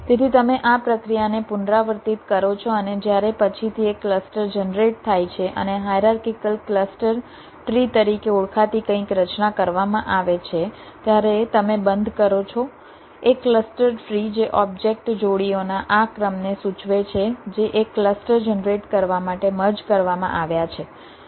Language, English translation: Gujarati, so you repeat this process and you stop when, subsequently, a single cluster is generated and something called a hierarchical cluster tree has been formed, a cluster tree which indicates this sequence of object pairs which have been merged to generate the single cluster